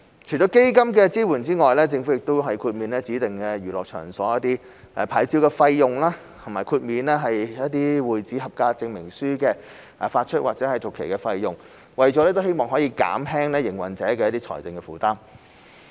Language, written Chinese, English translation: Cantonese, 除了基金發放的支援外，政府也豁免指定娛樂場所的牌照費用，以及豁免會址合格證明書的發出或續期費用，希望能減輕經營者的財政負擔。, Apart from the assistance granted by AEF the Government also waived the licence fees of designated entertainment venues as well as the issue or renewal fees of club - house CoCs in the hope of reducing the financial burden on the operators